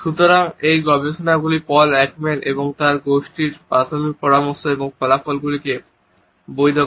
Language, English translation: Bengali, So, these studies validate the initial suggestions and findings by Paul Ekman and his group